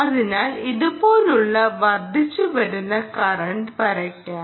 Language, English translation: Malayalam, so let us draw the increasing in current, like this